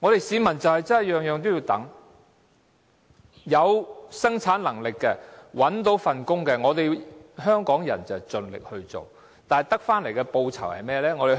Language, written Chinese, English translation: Cantonese, 市民真的每件事也要等，有生產能力而又找到工作的，香港人會盡力做，但得到的報酬如何？, The public really have to wait for everything . Hong Kong people will do their best if they have production capacity and can find a job but what is their remuneration?